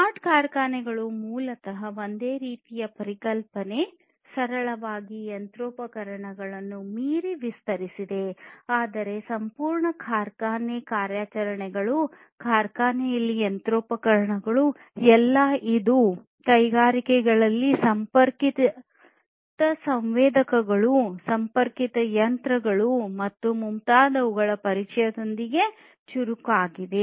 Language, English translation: Kannada, It is basically similar kind of concept extended beyond simple machinery, but you know having the entire factory operations, machinery in the factory, all of which made smarter with the introduction of connected sensors, connected machines and so on in the industries and so on